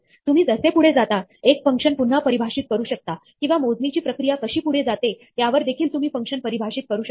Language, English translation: Marathi, So, as you go along, a function can be redefined, or it can be defined in different ways depending on how the computation proceeds